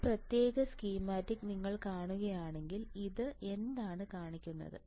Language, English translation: Malayalam, So, if you see this particular schematic, what does it show